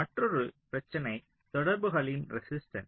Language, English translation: Tamil, so another issue is the contacts resistance